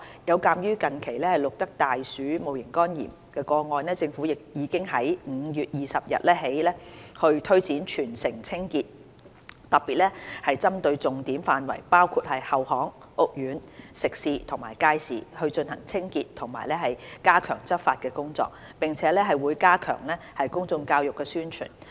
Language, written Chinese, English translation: Cantonese, 有鑒於近期錄得的大鼠戊型肝炎個案，政府已在5月20日起推展全城清潔，特別針對重點範圍包括後巷、屋苑、食肆及街市，進行清潔及加強執法工作，並會加強公眾教育和宣傳。, In view of the recent cases of human infection of rat HEV the Government has launched a territory - wide cleaning campaign on 20 May targeting areas such as rear lanes housing estates food premises and public markets . Cleaning work and enhanced enforcement actions have been carried out and public education and publicity in this regard have also been strengthened